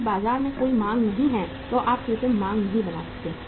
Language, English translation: Hindi, If there is no demand in the market you cannot create the artificial demand